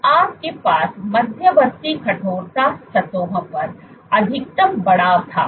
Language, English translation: Hindi, So, you had maximum elongation on the intermediate stiffness surfaces